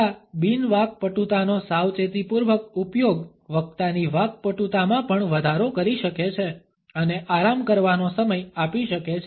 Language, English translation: Gujarati, A careful use of these non fluencies can also add to the fluency of the speaker and give a time to relax